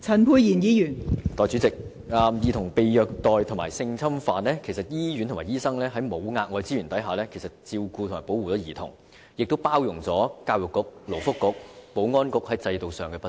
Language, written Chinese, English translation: Cantonese, 代理主席，關於兒童被虐待和性侵犯的問題，醫院和醫生已在沒有額外資源的情況下為兒童提供照顧和保護，因而包容了教育局、勞工及福利局和保安局在制度上的不足。, Deputy President with regard to cases of child abuse and sexual abuse hospitals and doctors have actually provided care and protection for children in the absence of additional resources . Hence the institutional inadequacies of the Education Bureau Labour and Welfare Bureau and Security Bureau have been condoned